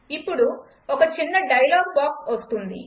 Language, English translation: Telugu, Now a small dialog box comes up